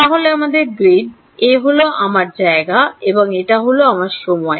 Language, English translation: Bengali, So, our grid this is my space and this is my time